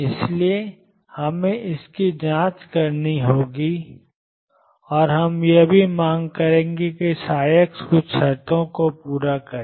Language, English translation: Hindi, So, we have to check that, and we also demand that psi x satisfy certain conditions